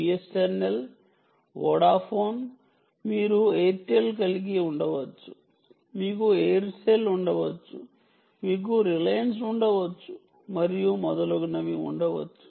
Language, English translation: Telugu, b, s, n, l, vodafone, you can have airtel, you can have aircel, you can have reliance and so on and so forth